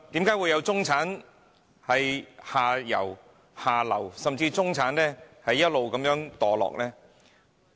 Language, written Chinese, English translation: Cantonese, 為何會有中產向下流，甚至一直墮落呢？, What are the reasons behind the downward mobility or even disintegration of the middle class of Hong Kong?